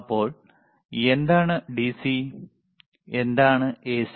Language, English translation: Malayalam, So, what is DC and what is AC